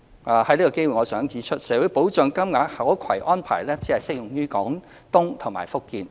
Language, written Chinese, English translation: Cantonese, 我想藉此機會指出，社會保障金額的可攜安排只適用於廣東和福建。, I would like to take this opportunity to point out that the portability arrangement for the Social Security Allowance SSA is only applicable to Guangdong and Fujian